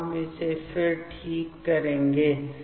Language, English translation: Hindi, So, we will draw that again ok